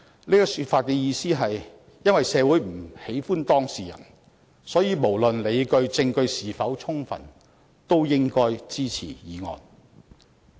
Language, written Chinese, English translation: Cantonese, 這種說法的意思是：因為社會不喜歡當事人，所以無論理據和證據是否充分都應該支持議案。, The implication of this remark is as the subject of inquiry is not well - liked by society hence the motion should be supported regardless of whether there is sufficient justification and evidence